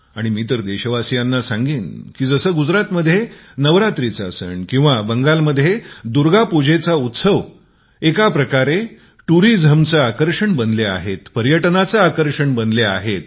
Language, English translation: Marathi, And I would like to mention to my countrymen, that festivals like Navaratri in Gujarat, or Durga Utsav in Bengal are tremendous tourist attractions